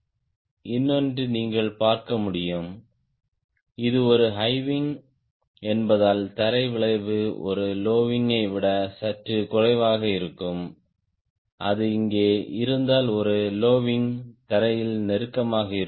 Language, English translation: Tamil, another you could see that since is the high wing, ground effect will be little lesser than a low wing if it is here a low wing would be close the ground